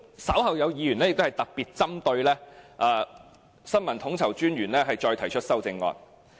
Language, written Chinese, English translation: Cantonese, 稍後有議員會特別針對新聞統籌專員的開支提出修正案。, Later on Members will propose amendments to expenses on the Information Coordinator